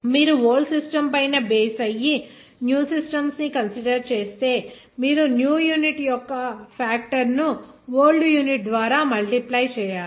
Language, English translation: Telugu, That factor, of course, will be that if you are considering other new systems based on the old system then you have to multiply by a factor of a new unit by the old unit